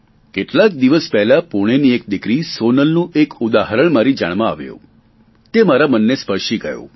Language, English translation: Gujarati, A few days ago, I came across a mention of Sonal, a young daughter from Pune